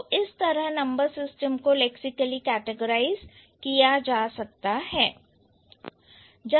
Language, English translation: Hindi, So, that is how lexically the number system can be put under or can be categorized